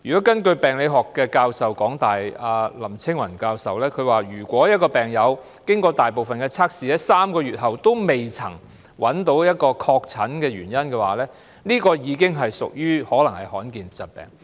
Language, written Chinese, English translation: Cantonese, 根據香港大學的病理學系林青雲教授所說，如果一位病友經過大部分的測試，在3個月後仍未確診病因，可能已患上罕見疾病。, According to Prof LAM Ching - wan Professor of the Department of Pathology at the University of Hong Kong a patient whose illness cannot be diagnosed in three months after undergoing the majority of testings are probably suffering from rare diseases